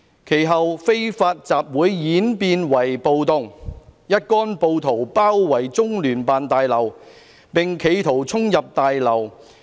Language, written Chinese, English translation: Cantonese, 其後非法集會演變為暴動，一干暴徒包圍中聯辦大樓，並企圖衝入大樓。, The unlawful assembly subsequently turned into a riot in which the mob surrounded the building of the Liaison Office and attempted to storm into the building